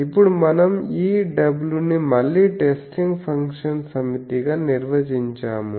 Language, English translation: Telugu, Now let us come to our point that so we now define this w again as a set of testing function